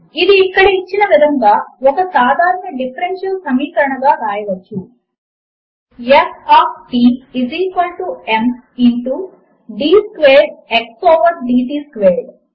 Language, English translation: Telugu, This can be written as an ordinary differential equation as:F of t is equal to m into d squared x over d t squared